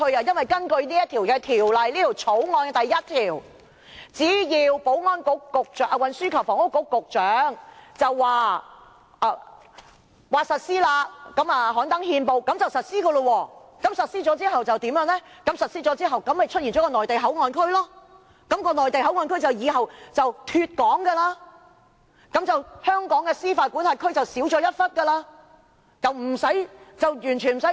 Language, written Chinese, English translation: Cantonese, 根據《條例草案》第1條，只要運輸及房屋局局長刊登憲報就可以實施，實施之後就會出現內地口岸區，內地口岸區以後就會"脫港"，香港司法管轄區的面積也就縮小了。, According to clause 1 of the Bill the relevant Ordinance comes into operation on the day appointed by the Secretary for Transport and Housing by notice in the Gazette . After the Ordinance comes into effect a Mainland Port Area within Hong Kong will be de - established and subsequently the area under the jurisdiction of Hong Kong will become smaller